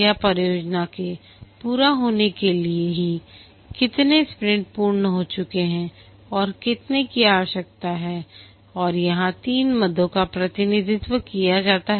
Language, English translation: Hindi, This is for completion of the project how many sprints are been completed and how many are likely to be required